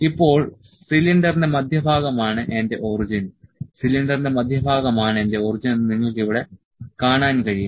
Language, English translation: Malayalam, Now, the centre of the cylinder is my origin you can see here the centre of the cylinder is my origin